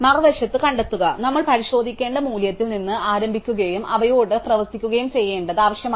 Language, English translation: Malayalam, Now, find on the other hand as we saw requires us to start from the value that we want to check and work away up to them